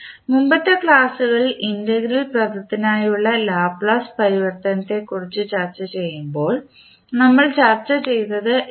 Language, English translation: Malayalam, So this is what we discussed when we discuss the Laplace transform for the integral term in the previous lectures